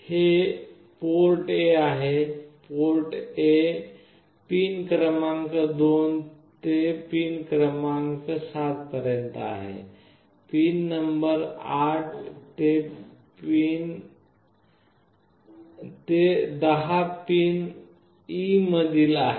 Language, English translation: Marathi, This is port A; port A is from pin number 2 to pin number 7, port E is from pin number 8 to 10, and so on